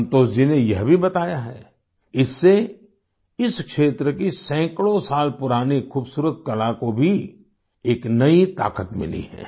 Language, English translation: Hindi, Santosh ji also narrated that with this the hundreds of years old beautiful art of this region has received a new strength